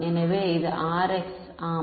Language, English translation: Tamil, So, this is Rx yeah